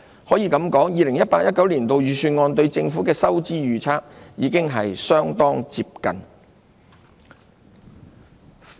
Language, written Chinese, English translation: Cantonese, 可以這樣說 ，2018-2019 年度預算案對政府財政狀況的預測已相當接近。, It can be said that the projection made in the 2018 - 2019 Budget on the Government financial position was close to the mark